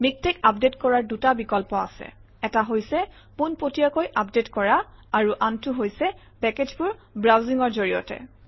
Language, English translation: Assamese, In MikTeX, there are two options, one is update directly the other is through browse packages